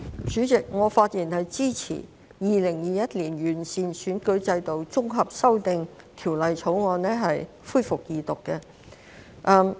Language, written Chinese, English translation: Cantonese, 主席，我發言支持《2021年完善選舉制度條例草案》恢復二讀。, President I rise to speak in support of the resumption of the Second Reading of the Improving Electoral System Bill 2021 the Bill